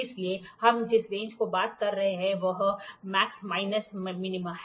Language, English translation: Hindi, So, there range what is a range we are talking about range is max minus min